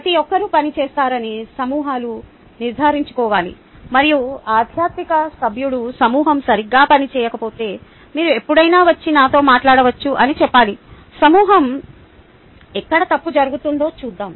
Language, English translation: Telugu, ok, the groups must make sure that everybody works, and the faculty member can just say that if the group was not working well, you can always come and talk to me let us see where the group is growing wrong